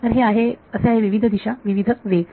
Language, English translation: Marathi, So, this is so, different directions different speeds